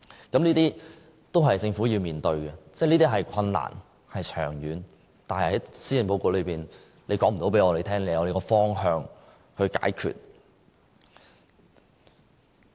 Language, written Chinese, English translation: Cantonese, 這些都是政府要面對的，這是困難、長遠的，但施政報告沒有告訴我們，政府已有方向解決。, These are the problems the Government has to tackle . This is not an easy task and will take time . However the Policy Address fails assure us that the Government already has a policy direction to tackle the problems